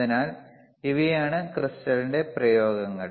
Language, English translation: Malayalam, So, therse are thise applications of the crystal